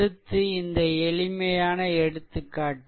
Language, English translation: Tamil, So, next take this simple example